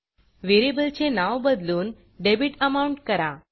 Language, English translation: Marathi, And change variable name into debitAmount